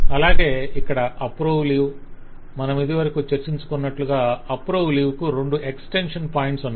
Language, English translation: Telugu, So we have the approve leave and, as we had earlier discussed, the approve leave had couple of extension points